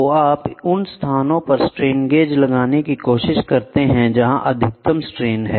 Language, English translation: Hindi, So, you can try to place the strain gauge at the locations where there is maximum strain